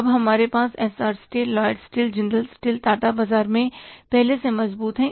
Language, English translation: Hindi, We have now the SR steel, Lloyd steel, Jindal steel, Tata is already there in the market